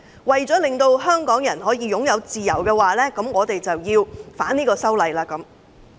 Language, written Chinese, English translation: Cantonese, 為了令香港人擁有自由，他們要反修例。, They have to raise objection so that Hong Kong people will be able to enjoy freedom